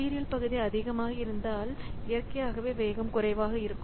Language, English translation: Tamil, So, if the sequential portion is more, then naturally speed up will be less